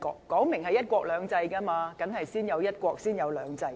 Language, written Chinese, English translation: Cantonese, 既然是"一國兩制"，當然是先有"一國"才有"兩制"。, Since it is one country two systems one country should of course come before two systems